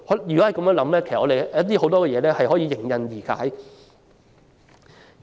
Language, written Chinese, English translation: Cantonese, 如能這樣想，很多問題均可迎刃而解。, If we can adopt such thinking many problems can be readily resolved